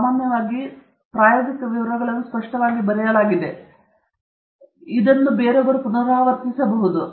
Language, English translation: Kannada, Normally, the experimental details are written clearly enough that somebody else can reproduce it